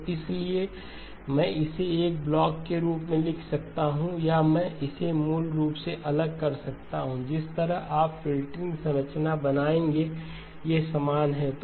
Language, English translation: Hindi, So therefore I can write it as a single block or I can separate it out basically the way you would create filter structures, these are identical